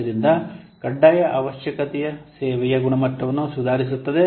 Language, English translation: Kannada, So mandatory requirement improved quality of service